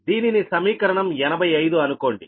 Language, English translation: Telugu, so this is, say, equation eighty five